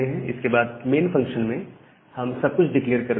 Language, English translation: Hindi, And then inside the main function, we are declaring the entire thing